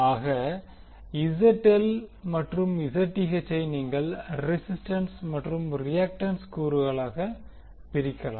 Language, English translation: Tamil, So, now Zth and ZL you can divide into the resistance and the reactance component